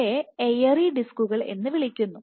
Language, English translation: Malayalam, So, if these So, these are also called airy disk